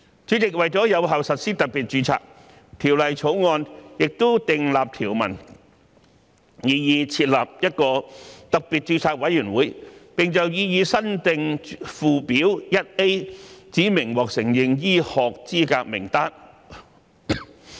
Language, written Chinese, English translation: Cantonese, 主席，為有效實施特別註冊，《條例草案》也訂立條文，擬議設立一個特別註冊委員會，並就擬議新訂附表 1A 指明獲承認醫學資格名單。, President in order to implement special registration effectively the Bill also proposes establishing a Special Registration Committee SRC and specifying the list of recognized medical qualifications in the proposed new Schedule 1A